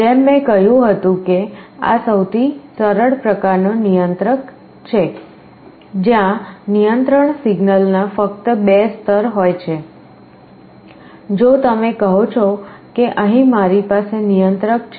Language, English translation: Gujarati, As I said this is the simplest type of controller, where the control signal has only 2 levels, if you say that here I have the controller